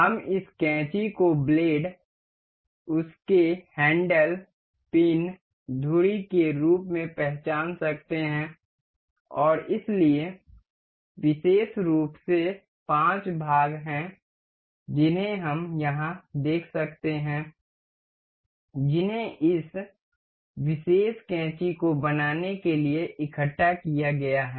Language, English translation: Hindi, We can identify this scissor as blades, its handle, the pin, the pivot we say and so, the the there are particular there are particularly 5 parts we can see over here, that have been assembled to make this particular scissor